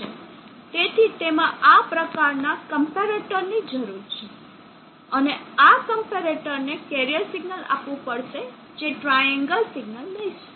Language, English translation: Gujarati, So that involves a comparator like this, and to this comparator another input we will carrier signal at triangular carrier